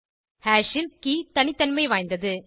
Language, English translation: Tamil, Key in hash is unique